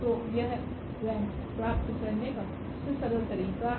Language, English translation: Hindi, So, this is a simplest way of getting the rank